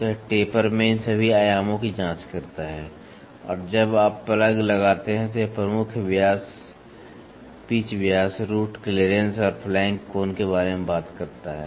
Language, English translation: Hindi, So, it checks all these dimensions in the taper and when you tuck a plug it talks about major diameter, pitch diameter, root clearance lead and flank angle